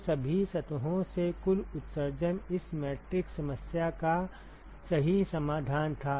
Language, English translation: Hindi, So, the total emission from all the surfaces was just the solution of this matrix problem right